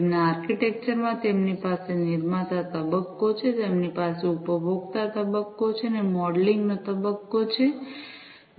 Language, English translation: Gujarati, In their architecture they have the producer phase, they have the consumer phase, and the modelling phase